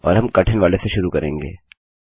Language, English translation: Hindi, And we will start with the hard one